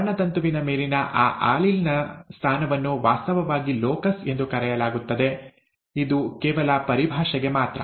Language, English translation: Kannada, The position on the chromosome of that allele is actually called a locus, this is just for the terminology, okay